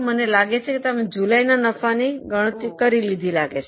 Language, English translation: Gujarati, I hope you have calculated the profit for July